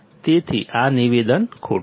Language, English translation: Gujarati, So, this statement is false